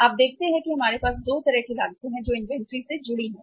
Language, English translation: Hindi, You see that we have the 2 kind of the cost which are associated to the inventory